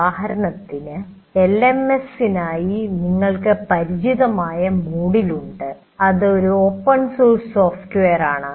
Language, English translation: Malayalam, Take for example LMS, you have the well known Moodle which is an open source